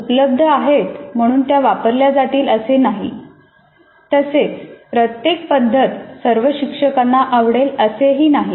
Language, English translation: Marathi, But just because they're available, it doesn't mean they're used and it doesn't mean that every method is preferred or liked by all teachers and so on